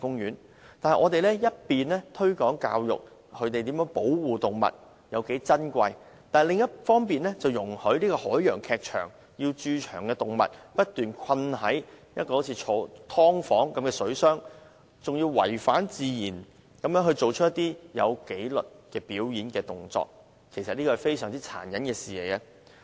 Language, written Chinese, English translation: Cantonese, 可是，我們一方面推廣保護動物，教育人們動物有多珍貴，但另一方面卻容許海洋劇場把駐場動物困在好像"劏房"一樣的水箱內，還要牠們違反自然地做出有紀律的表演動作，這是非常殘忍的事。, Nevertheless while we are promoting animal protection and teaching people that animals are precious we allow trainers of the Ocean Theatre to confine the animals in tiny water tanks and compel them to perform in a disciplined manner actions which are against their nature . That is very cruel